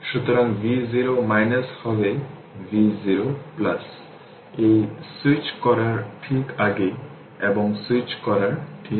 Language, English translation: Bengali, So, v 0 minus will be v 0 plus; this will just before switching, and just after switching right